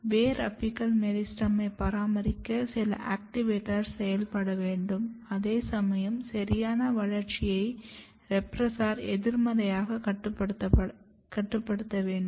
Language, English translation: Tamil, So, if you want to maintain root apical meristem, then some activator has to be activated, at the same time the repressor has to be negatively regulated to ensure proper development